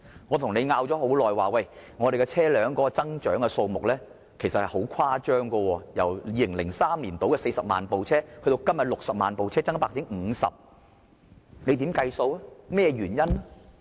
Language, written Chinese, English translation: Cantonese, 我跟政府爭拗了很長時間，車輛的數目由2003年大約40萬輛，增至今天的60萬輛，增加差不多 50%， 增幅十分誇張。, I have argued with the Government for a long time the number of vehicles rises from around 400 000 in 2003 to 600 000 nowadays it has raised by almost 50 % the rate of increase is quite exaggerated